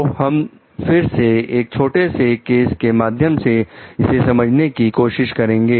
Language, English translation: Hindi, So, we will we again see that with a small case